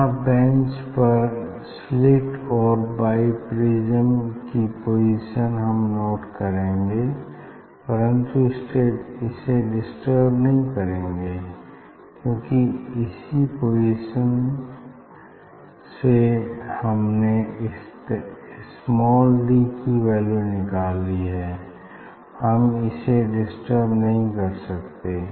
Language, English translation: Hindi, here again position of the slit on the bench position of the bi prism on the bench will note down, but that will not disturb, because for that position only if we found the small d we cannot disturb this one